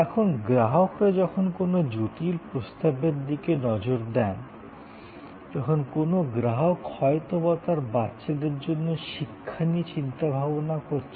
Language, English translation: Bengali, Now, in this, when consumers look at a complex range of offering, when a customer is or a citizen is thinking about, say education for his or her children